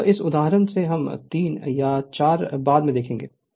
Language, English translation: Hindi, Now this one example we will take another 3 or 4 later